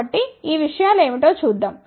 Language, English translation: Telugu, So, let us see what it is